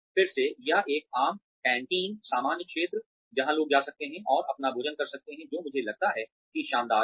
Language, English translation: Hindi, Again, or having a common canteen, common area, where people can go and have their meals, which I think is brilliant